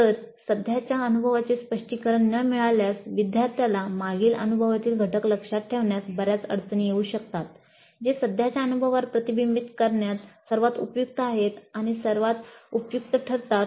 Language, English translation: Marathi, If there is no framing of the current experience, learner may have considerable difficulty in recalling elements from the previous experience that are most relevant and most helpful in reflecting on the current experience